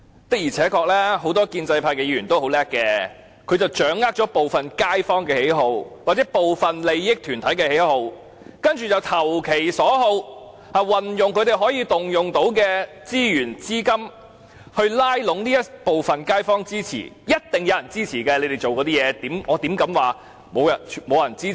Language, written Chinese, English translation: Cantonese, 的而且確，很多建制派議員都很聰明，他們掌握了部分街坊或部分利益團體的喜好，投其所好，運用他們可動用的資源和資金來拉攏這部分街坊的支持，所以他們所做的事一定會有人支持，我怎敢說他們沒有支持呢？, Without a doubt many Members of the pro - establishment camp are very smart . After grasping the preferences of some kaifongs and interest groups they will cater to their needs and utilize their disposable resources and capital to canvass the support of these kaifongs . This explains why some people will definitely voice support for their actions